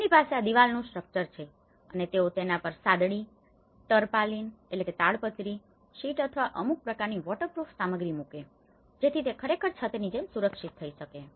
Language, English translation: Gujarati, What they do is, they have this walled structure and they put a mat on it, the tarpaulin sheets or some kind of waterproof materials so that it can actually protect as a roof